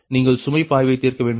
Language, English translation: Tamil, you have to solve load flow right